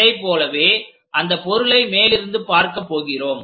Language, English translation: Tamil, Similarly, on top of that we are going to see this object